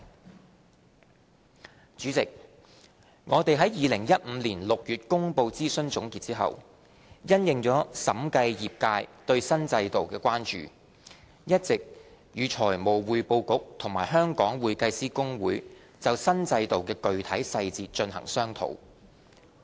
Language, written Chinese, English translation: Cantonese, 代理主席，我們在2015年6月公布諮詢總結後，因應審計業界對新制度的關注，一直與財務匯報局和香港會計師公會就新制度的具體細節進行商討。, Deputy President since the release of consultation conclusions in June 2015 we have been discussing the details of the new regime with the Financial Reporting Council and the Hong Kong Institute of Certified Public Accountants in view of the concerns of the audit profession over the new regime